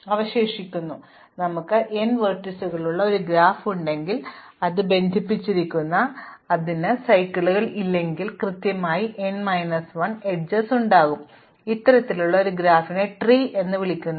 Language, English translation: Malayalam, Now, it is easy to see that if we have a graph with n vertices and it is connected and it does not have cycles, then it will have exactly n minus 1 edges, this kind of a graph is called a tree